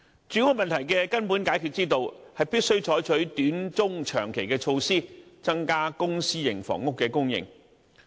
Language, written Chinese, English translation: Cantonese, 住屋問題的根本解決之道，是必須採取短、中、長期的措施，增加公、私營房屋的供應。, To tackle the housing problem at source the authorities must adopt short - medium - and long - term measures to increase the supply of both public and private housing